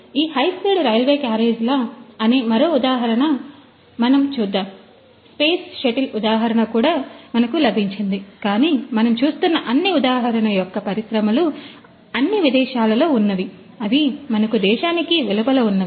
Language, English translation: Telugu, We have got the example of these high speed railway carriages, we have got also the example of the space shuttle ah, but all these you know the examples what we see is that from the you know the industries which are Abroad which are outside